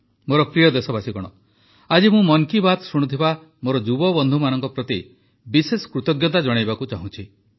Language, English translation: Odia, My dear countrymen, today I wish to express my special thanks to my young friends tuned in to Mann ki Baat